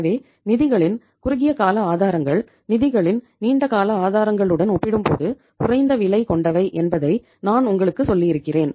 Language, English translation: Tamil, So I have been talking to you that short term sources of the funds are lesser expensive as compared to the long term sources of the funds